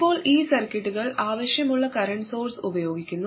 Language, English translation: Malayalam, Now these circuits, they use these current sources which are required